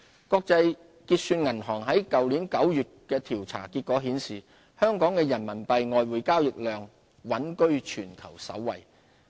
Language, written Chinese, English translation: Cantonese, 國際結算銀行去年9月公布的調查結果顯示，香港的人民幣外匯交易量穩居全球首位。, As revealed by the Bank for International Settlements survey findings published last September Hong Kong continued to rank top globally in terms of the volume of RMB foreign exchange transactions